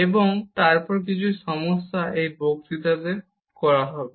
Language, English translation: Bengali, And then some worked problems will be done in this lecture